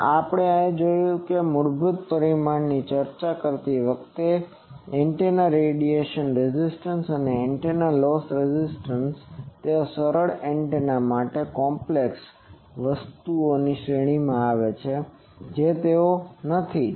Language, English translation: Gujarati, Also we have seen I think the next, we have seen this while discussing basic parameters that antennas radiation resistance and antennas loss resistance, they for simple antennas they come in series in complicated things they are not